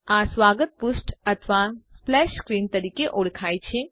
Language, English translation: Gujarati, This is known as the welcome page or splash screen